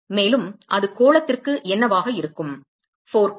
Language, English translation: Tamil, And what will be that is for sphere 4 pi